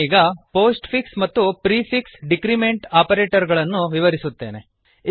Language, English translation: Kannada, I will now explain the postfix and prefix decrement operators